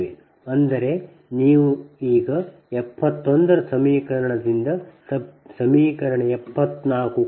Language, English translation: Kannada, now you subtract equation seventy four from equation seventy one